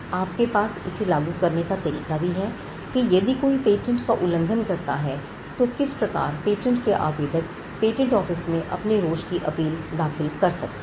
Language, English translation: Hindi, And you also have an enforcement mechanism, what happens if the patent is infringed, how can patent applicants who have a grievance at the patent office agitated in appeal